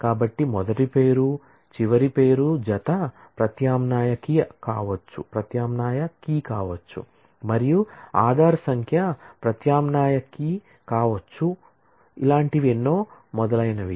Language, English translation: Telugu, So, first name last name pair could be an alternate key Aaadhaar number could be an alternate key and so on